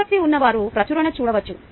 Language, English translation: Telugu, those who are interested can see the publication